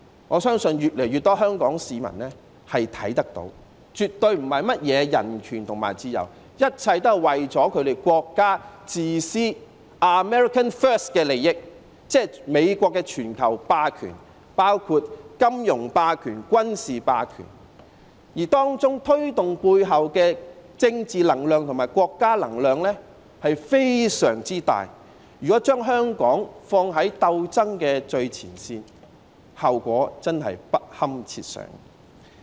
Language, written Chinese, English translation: Cantonese, 我相信越來越多香港市民看得到絕對不是甚麼人權和自由，一切也是這國家的自私、America first 的利益，即美國的全球霸權，包括金融霸權和軍事霸權，而背後的政治能量和國家能量是非常巨大的，如果將香港放在鬥爭的最前線，後果真的不堪設想。, I believe more and more Hong Kong citizens can see that they care absolutely not about human rights and freedoms as everything boils down to this countrys selfish America first interest or in other words it all boils down to the global hegemony of the United States including financial hegemony and military hegemony and as the political energy and national powers behind all this are huge if Hong Kong is placed in the forefront of the struggle the consequences would really be too ghastly to contemplate